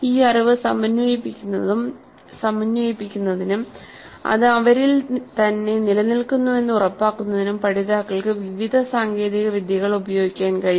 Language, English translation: Malayalam, Learners can use a variety of techniques to integrate this knowledge and to ensure that it stays with them